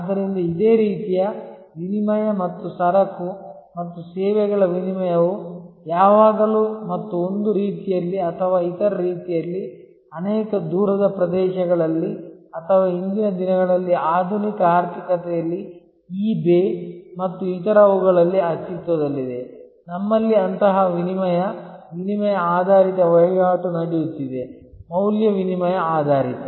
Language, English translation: Kannada, So, similar, barter based exchange of goods and services existed always and in some way or other, in many areas in many remote areas or even in the today in the modern economy on the e bay and others, we have such exchanges, exchange based transactions happening, value exchange based